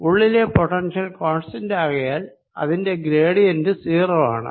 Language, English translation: Malayalam, you can see potential inside is constant and therefore is gradient is going to be zero